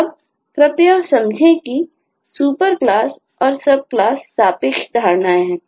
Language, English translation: Hindi, now please understand that the super class and sub class are relative notions